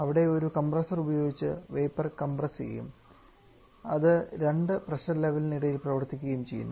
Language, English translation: Malayalam, Where, we use a vapour to get compressed using a compressor and it operates between two pressure levels